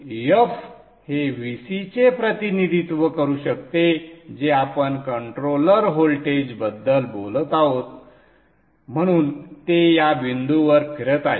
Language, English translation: Marathi, Now this F would be can represent the VC that we are talking of the controller voltage